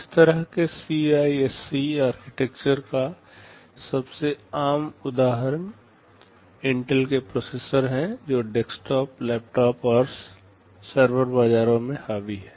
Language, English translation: Hindi, The most common example of such CISC architecture are the Intel classes of processors which dominate the desktop, laptop and server markets